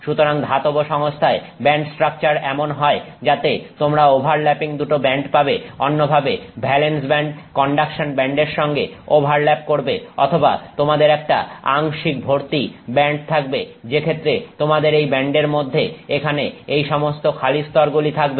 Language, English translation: Bengali, So, in a metallic system the band structure is such that either you have two bands that are overlapping, in other words the valence band and the conduction band are overlapping or you have a partially filled band in which case you have within the same band you have all these empty levels out here